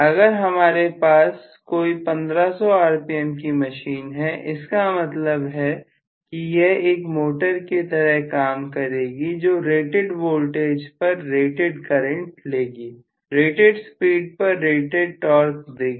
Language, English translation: Hindi, So whenever I am having a machine rated for say 1500 rpm means it will work as a motor with rated voltage, drawing rated current, delivering rated torque at rated speed